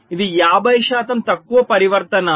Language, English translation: Telugu, so it is fifty percent less transitions